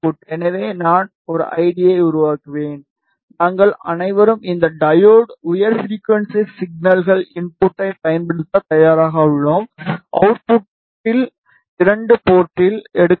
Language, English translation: Tamil, So, I will create an id for that which is out and we are all set to apply high frequency signals input to this diode, output will be taken at port 2 ok